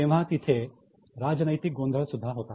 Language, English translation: Marathi, There was a political confusion as well